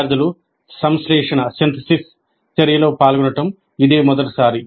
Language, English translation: Telugu, It is the first time the students engage in synthesis activity